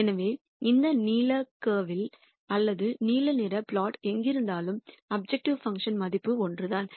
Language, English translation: Tamil, So, wherever you are on this blue curve or the blue contour the objective function value is the same